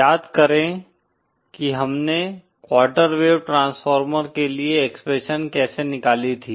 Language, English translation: Hindi, Recall how we had derived expression for a quarter wave transformer